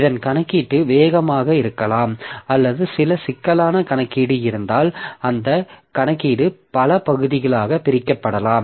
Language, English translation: Tamil, So, this is the computational speed up may be there or if we can have some complex computation so that computation may be divided into several parts